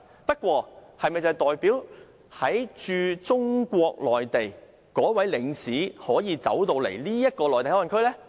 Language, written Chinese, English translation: Cantonese, 不過，這是否代表駐中國內地的領事便可以進入香港的內地口岸區？, However does it mean that consuls who are stationed in the Mainland can enter MPA in Hong Kong?